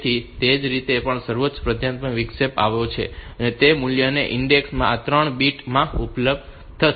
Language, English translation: Gujarati, So, that way whichever highest priority interrupt has occurred, so that value that index will be available in these 3 bits